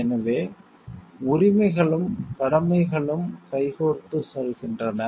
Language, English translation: Tamil, So, rights and duties goes hand in hand